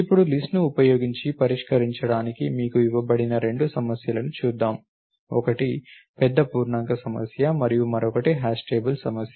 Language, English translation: Telugu, So, now let us get on to the two problems that have been given to you to solve using list, one was the big int problem and other is the hash table problem